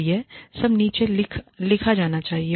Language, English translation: Hindi, So, all of this should be written down